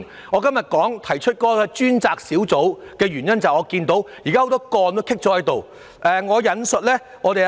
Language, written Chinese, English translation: Cantonese, 我今天提出成立專責小組的建議，是因為眼見很多積壓個案急須處理。, By proposing to set up a task force earlier today my objective is to clear the backlog of a large number of urgent cases